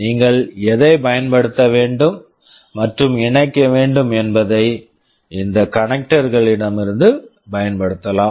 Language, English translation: Tamil, Whatever you need to use and connect you can use from this connectors